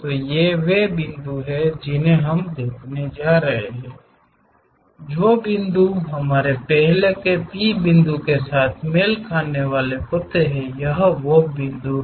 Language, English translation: Hindi, So, these are the points what we are going to see, the points which are going to match with our earlier P point is this